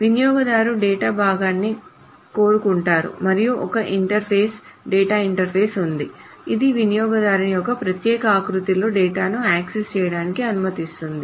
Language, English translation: Telugu, The user wants the piece of data and there is an interface, the database interface, will let that user access that data in a particular format